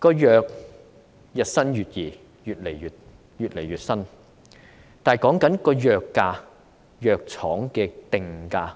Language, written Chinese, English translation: Cantonese, 藥物日新月異，我們沒辦法應對藥廠的定價。, Drugs are ever changing and we are unable to afford the prices dictated by pharmaceutical companies